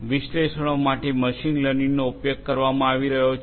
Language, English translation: Gujarati, Machine learning being used for analytics